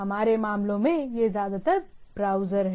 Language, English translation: Hindi, In our cases, it is mostly the browser